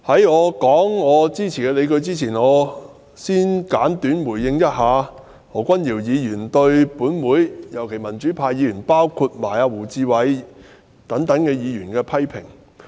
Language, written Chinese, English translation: Cantonese, 在我論述支持的理據前，我想先簡短回應何君堯議員對本會議員，特別是對民主派議員的批評。, Before elaborating on my arguments for this proposal I wish to give a brief reply to Dr Junius HO on his criticisms against certain Members of this Council notably Members from the democratic camp including Mr WU Chi - wai